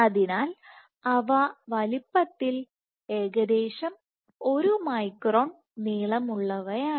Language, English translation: Malayalam, So, they are roughly order one micron in size in length and the typical